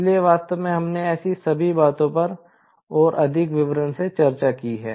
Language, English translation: Hindi, So, all such things, in fact, we have discussed in much more details